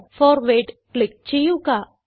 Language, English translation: Malayalam, Now click on Forward